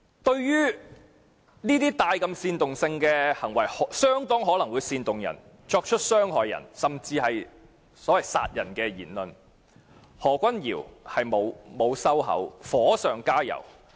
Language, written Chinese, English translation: Cantonese, 對於如此具煽動性的行為，極可能煽動他人作出傷人甚至殺人行為的言論，何君堯議員不但沒有收口，更加火上加油。, His behaviour is highly provocative and it is probable that his speech can incite others to cause bodily injury to other people and even to kill but Dr Junius HO has not only failed to tone down the incident but has also poured oil onto fire